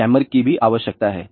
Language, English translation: Hindi, There is a requirement for jammer also